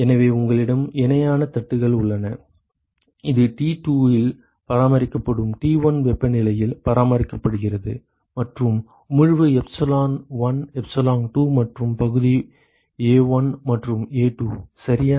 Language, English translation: Tamil, So, you have parallel plates and this is maintained at temperature T1 maintained at T2 and the emissivity is epsilon1 epsilon2 and the area is A1 and A2 ok